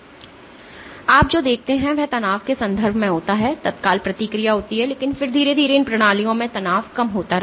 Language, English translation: Hindi, So, what you will observed is in terms of stress there is an immediate response, but then slowly these systems the stress will keep on keep coming down